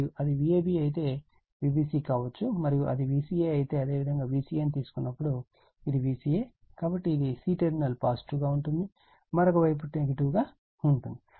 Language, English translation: Telugu, And if it is V a b could V b c and if it is V c a, when you take V c a, this is my V c a, so this is my c this is positive right, and another side is negative